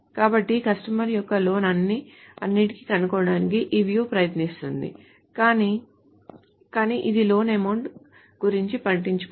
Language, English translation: Telugu, So what does this view try to do is find all the loans of the customer but but it well it doesn't bother about the loan amount